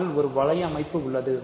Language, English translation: Tamil, So, there is a ring structure on R